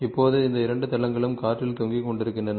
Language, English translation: Tamil, Now, these 2 planes are hanging in free air